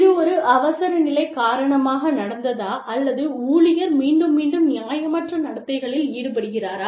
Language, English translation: Tamil, Did this happen, because of an exigency, or is the employee, repeatedly engaging in unreasonable behavior